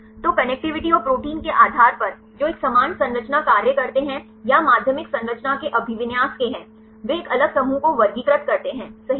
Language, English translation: Hindi, So, based on the connectivity and the proteins which have a similar structure function or the orientation of secondary structure right they classify a different groups right